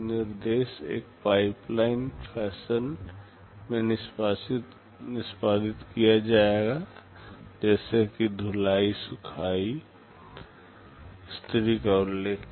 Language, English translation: Hindi, The instructions will be executing in a pipeline fashion just like that washing, drying, ironing I mentioned